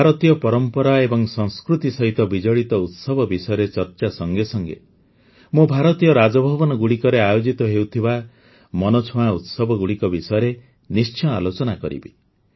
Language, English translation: Odia, Friends, while discussing the festivals related to Indian tradition and culture, I must also mention the interesting events held in the Raj Bhavans of the country